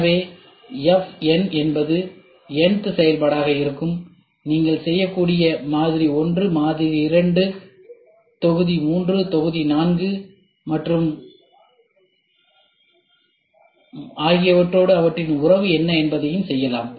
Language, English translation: Tamil, So, fn will be the n th function, what is their relationship with model 1, model 2, module 3, module 4 and etcetera you can do